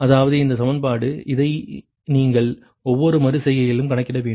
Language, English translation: Tamil, that means this equation, this one you have to calculate at every iteration right, and this one is your